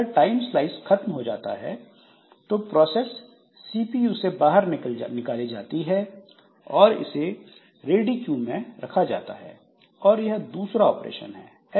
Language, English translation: Hindi, So the time slice expires, then the process is taken out of CPU and put onto the ready queue